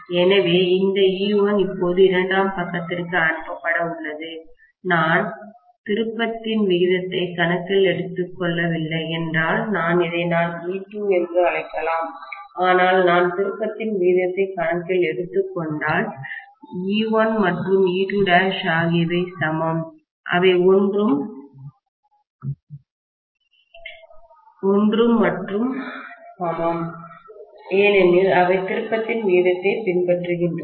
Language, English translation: Tamil, So, this E1 is going to be now passed onto the secondary side, which I may call that as E2, if I am not taking the turn’s ratio into account, but if I am taking the turn’s ratio into account, E1 and E2 dash are the same, there are one and the same because they are following the turn’s ratio